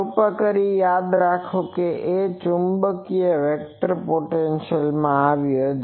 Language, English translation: Gujarati, Please remember those A is come from that magnetic vector potential